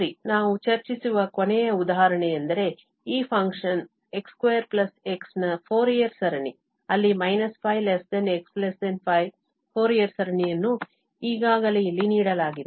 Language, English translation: Kannada, Well, so the last example where we will discuss that this Fourier series of this function x square plus x in this interval, minus pi to pi, the Fourier series is already given here